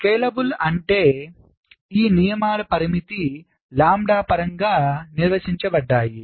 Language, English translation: Telugu, scalable means this rules are defined in terms of a parameter, lambda, like, lets say